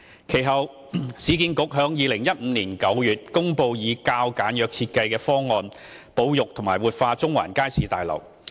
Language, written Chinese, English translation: Cantonese, 其後，市建局在2015年9月公布以較簡約設計方案保育和活化中環街市大樓。, Subsequently URA announced in September 2015 that it would adopt a simplified design in preserving and revitalizing the Central Market Building